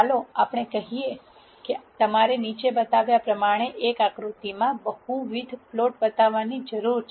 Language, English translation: Gujarati, Let us say there is a need for you to show multiple plots in a single figure as shown below